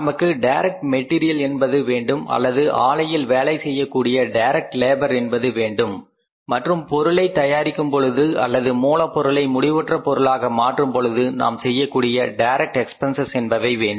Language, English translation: Tamil, We either require direct material, direct labour working on the plant and then the direct expenses which are incurred while manufacturing the product or converting the raw material into the finished products